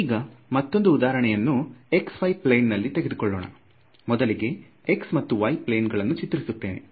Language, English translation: Kannada, Now here is another example this is in the x y plane so, let us draw the x y plane over here